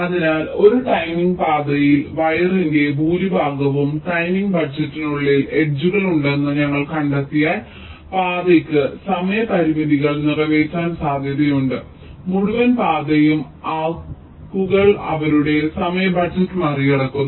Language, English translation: Malayalam, ok, so the point is that if we find that in a timing path, if most of the where i means edges are within the timing budget, then it is possible that the path can meet the timing constrains the entire path, even if some arcs cross their timing budget